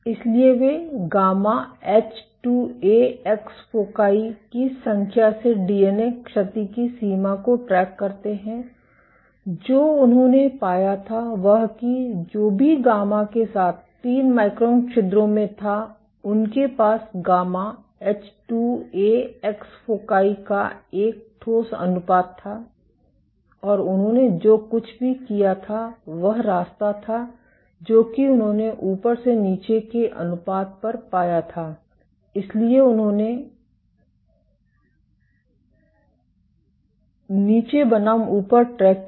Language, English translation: Hindi, So, they track the extent of DNA damage by the number of gamma H2Ax foci what they found was in 3 micron pores whatever with the gamma is with they had a solid ratio of gamma H2Ax foci and what they did was the tract that they found the ratio at the top versus and over the bottom